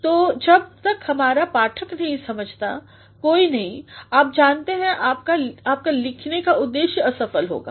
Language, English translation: Hindi, So, unless and until your reader understands, there is no you know your aim of writing gets defeated